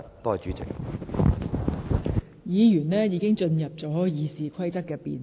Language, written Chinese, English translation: Cantonese, 議員的發言已開始涉及《議事規則》的討論。, Members have started to discuss the Rules of Procedure